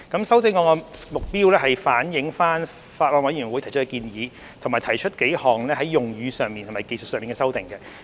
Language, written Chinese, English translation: Cantonese, 修正案旨在反映法案委員會提出的建議，以及提出數項在用語上和技術性的修訂。, The amendments seek to reflect the suggestions made by the Bills Committee and propose a number of textual and technical amendments